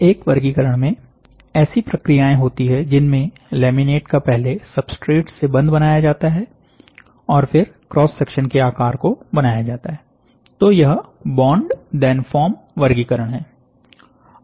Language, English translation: Hindi, In one category, there are processes in which the laminate is bonded first to the substrate and is then formed into cross section shapes; so bond then form